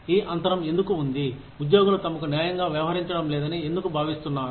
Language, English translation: Telugu, Why is there, this gap, why do employees feel that, they are not being treated fairly